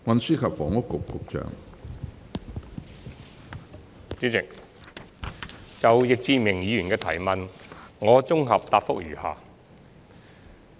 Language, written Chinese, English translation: Cantonese, 主席，就易志明議員的提問，我現綜合答覆如下。, President my consolidated reply to Mr Frankie YICKs question is as follows